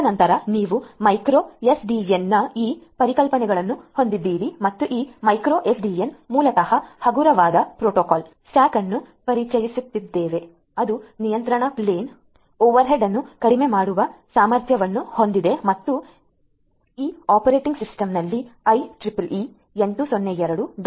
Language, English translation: Kannada, And then you have this contra you know the concepts of the micro SDN and this micro SDN basically introduces a lightweight protocol stack, it s a lightweight protocol stack that is capable of reducing the control plane overhead and it is based on the IEEE 802